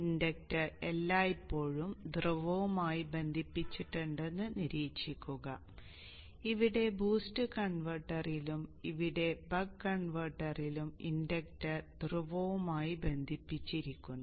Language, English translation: Malayalam, Observe that the inductor is always connected to the pole both here in the boost converter and also here in the buck converter the inductor is connected to the pole